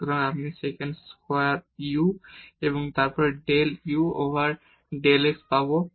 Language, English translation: Bengali, So, we will get the sec square u and then del u over del x